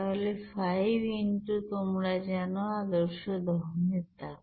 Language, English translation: Bengali, So 5 into you know standard heat of combustion